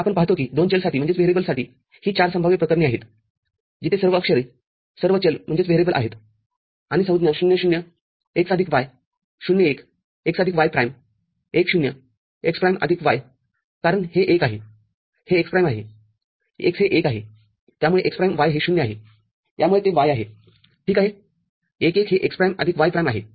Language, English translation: Marathi, So, we see that for two variable these are the 4 possible cases where all the literals, all the variables are there and the terms are 0 0 x plus y, 0 1 x plus y prime, 1 0 x prime plus y, because it is 1, it is x prime; x is 1 that is so why it is x prime y is 0 that is why it is y ok, 1 1 this is x prime plus y prime